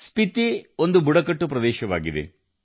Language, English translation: Kannada, Spiti is a tribal area